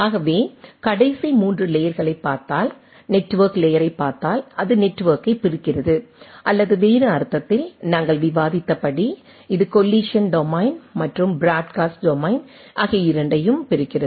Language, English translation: Tamil, So, if we look at that if we look at the last 3 layers, so if we look at the at the network layer it divides the network or in other sense, as we have discussed it divides both the collision domain and the broadcast domain right